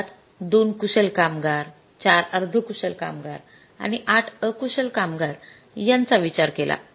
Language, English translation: Marathi, We decided that we require two skilled workers for a semi skilled workers and eight unskilled workers